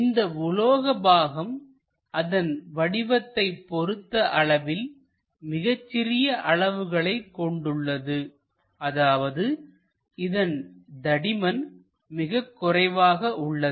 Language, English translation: Tamil, The metallic part having very small dimensions in terms of thickness, this is the thickness very small